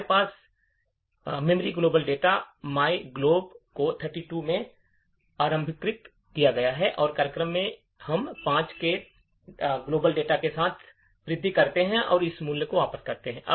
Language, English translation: Hindi, Let us take this small example where we have my global data initialize to 32 and in the program, we increment with the global data by 5 and return that value